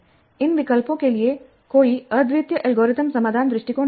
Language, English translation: Hindi, And for these choices, there is no unique algorithmic solution approach